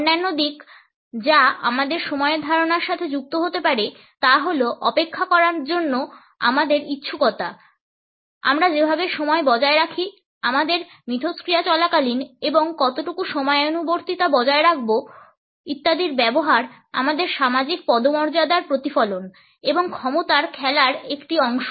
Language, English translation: Bengali, Other aspects which may be associated with our concept of time is our willingness to wait, the way we maintained time, during our interactions and to what extent the use of time punctuality etcetera are a reflection of our status and a part of the power game